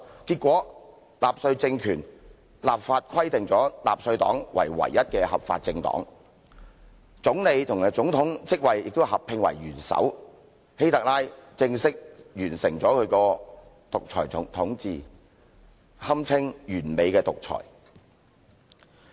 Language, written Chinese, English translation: Cantonese, 結果納粹黨政權立法規定納粹黨為唯一的合法政黨，總理和總統職位亦合併為元首，希特拉正式完成其獨裁統治，堪稱完美的獨裁。, As a result the Nazi regime enacted legislation to stipulate that the Nazi Party was the only lawful political party and merged the office of Chancellor with that of President to create a new post called Leader and Chancellor . HITLER formally assumed dictatorial rule and it can be said that his dictatorship was perfect